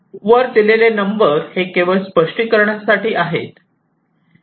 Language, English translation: Marathi, well, these number are just for illustration purposes